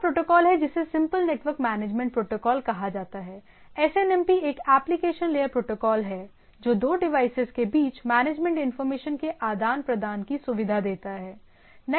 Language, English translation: Hindi, is a simple network management protocol SNMP is an application layer protocol, that facilitate exchange of management information between the two devices